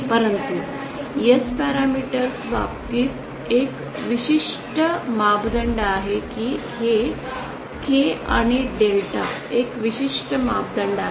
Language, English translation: Marathi, But in terms of the S parameters there is a specific there is a specific parameter this K and delta